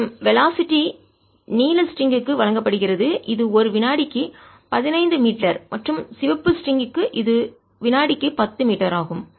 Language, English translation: Tamil, and the velocities are given to be for the blue string, its fifteen meters per and for the red string its ten meters per second